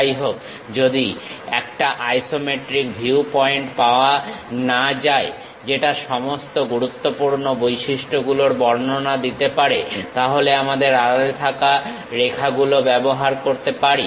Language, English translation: Bengali, However, if an isometric viewpoint cannot be found that clearly depicts all the major futures; then we are permitted to use hidden lines